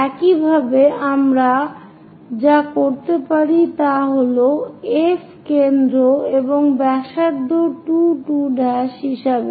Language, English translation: Bengali, Similarly what we can do is with F as center and radius 2 2 prime